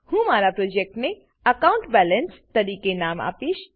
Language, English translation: Gujarati, And give your project a name I will name my project as Account balance